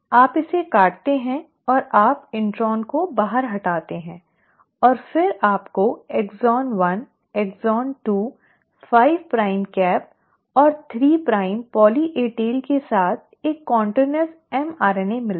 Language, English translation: Hindi, You cut it and you remove the intron out, and then you get a continuous mRNA, with exon 1, exon 2, 5 prime cap and a 3 prime poly A tail